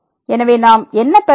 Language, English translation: Tamil, So, what do we get then